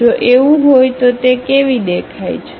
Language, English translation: Gujarati, If that is the case how it looks like